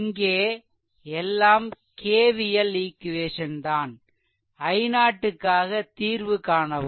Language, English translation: Tamil, So, here also, you please right your all K V L equation and solve for i 0